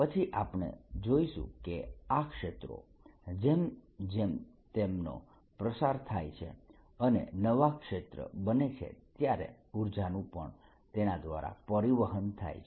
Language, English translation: Gujarati, then we'll see that these fields as they propagate and new fields are created, energy also gets transported by it